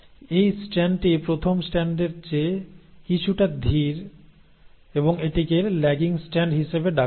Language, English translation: Bengali, So this strand is a little is slower than the first strand and it is called as the lagging strand